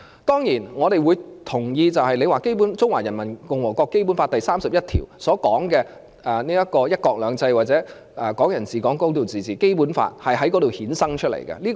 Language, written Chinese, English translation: Cantonese, 當然，我們同意，《中華人民共和國基本法》第三十一條所訂明的"一國兩制"或"港人治港"、"高度自治"，《基本法》都是由《憲法》衍生出來的。, Certainly we agree that the stipulations under Article 31 of the Basic Law of the Hong Kong Special Administrative Region of The Peoples Republic of China Basic Law One Country Two Systems or Hong Kong people administering Hong Kong a high degree of autonomy as well as the Basic Law itself are derived from the Constitution